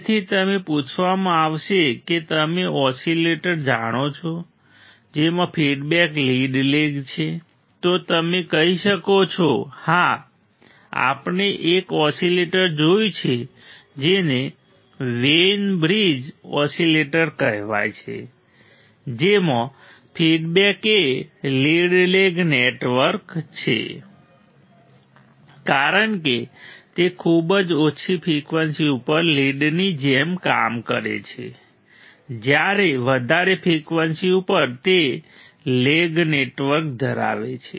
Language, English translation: Gujarati, So, you can be asked you know oscillators in which the feedback is lead lag then you can say yes we have seen an oscillator which is called Wein bridge oscillator; in which the feedback is a lead lag network because it acts like a like a lead at very low frequencies while at higher frequency it has a lag network